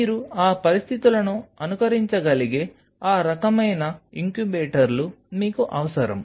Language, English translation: Telugu, So, you needed incubators of that kind where you can simulate those conditions